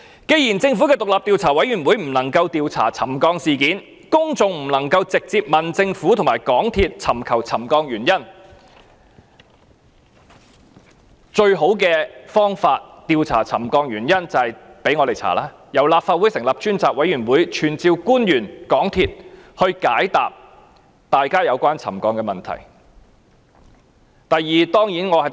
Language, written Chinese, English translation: Cantonese, 既然政府的獨立調查委員會不能調查沉降事件，公眾不能夠直接向政府和港鐵公司尋求沉降原因，調查沉降問題的最好方法便是由立法會進行調查，由立法會成立專責委員會傳召官員和港鐵公司高層，解答大家有關沉降的問題。, Since the Commission cannot investigate the settlement incidents nor can the public find out the reasons for settlement from the Government and MTRCL direct the best way to probe into the settlement problem is for the Legislative Council to carry out an investigation whereby the select committee will summon officials and the senior management of MTRCL to answer Members questions on the settlement